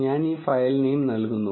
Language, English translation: Malayalam, I will give this file name